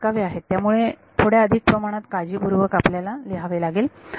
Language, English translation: Marathi, There is a slight subtlety over here let us write this a little bit carefully